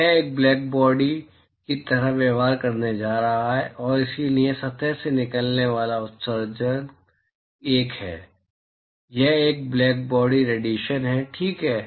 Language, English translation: Hindi, So, it is going to behave like a black body and therefore, the emission that comes out of the surface is a, it is a blackbody radiation, right